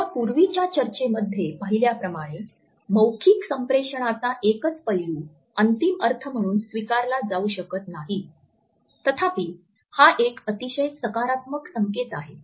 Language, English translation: Marathi, And as we had seen in our earlier discussions a single aspect of non verbal communication cannot be taken up as being the final meaning; however, it is a very positive indication